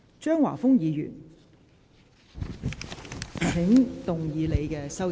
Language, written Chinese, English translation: Cantonese, 張華峰議員，請動議你的修正案。, Mr Christopher CHEUNG you may move your amendment